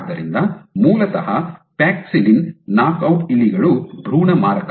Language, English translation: Kannada, So, basically paxillin knockout mice is embryo lethal